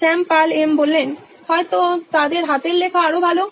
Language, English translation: Bengali, Shyam: Maybe their handwriting will be better